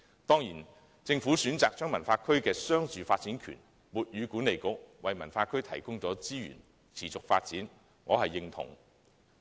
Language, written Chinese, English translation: Cantonese, 當然，政府選擇將西九文化區的商住發展權授予西九管理局，為西九文化區提供資源以持續發展，我是認同的。, Certainly I agree with the Governments decision to grant the commercialresidential development rights of WKCD to WKCDA to provide it with resources for the development of WKCD